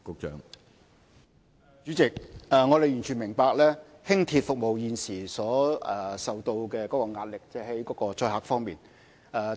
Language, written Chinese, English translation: Cantonese, 主席，我們完全明白輕鐵服務現時所承受的載客壓力。, President we fully understand the pressure of patronage on LR